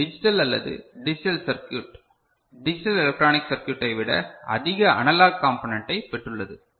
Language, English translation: Tamil, It has got more analog component than digital or digital circuit digital electronic circuit